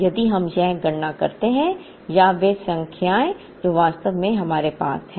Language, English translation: Hindi, Therefore, if we do this calculation or the numbers that we actually have